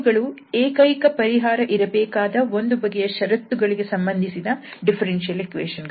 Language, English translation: Kannada, So, they are the differential equations associated with some kind of conditions to have unique solutions